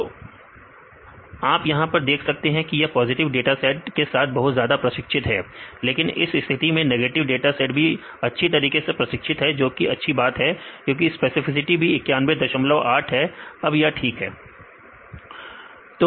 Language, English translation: Hindi, So, you can see this is highly trained with this positive dataset, but in this case it is also good that the negative dataset is also properly trained because the specificity also 91